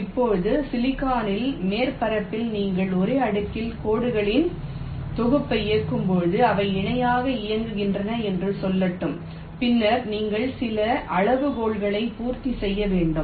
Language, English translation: Tamil, like this, let say now means on the surface of the silicon, when you run a set of lines on the same layer, let say they are running in parallel, then you have to satisfy certain criteria